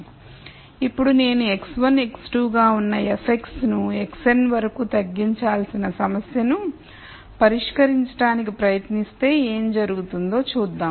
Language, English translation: Telugu, Now, let us see what happens if I am trying to solve a problem where I have to minimize f of x which is x 1 x 2 all the way up to x n